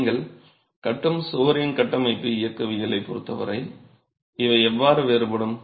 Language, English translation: Tamil, How do these differ as far as the structural mechanics of the wall that you are constructing is concerned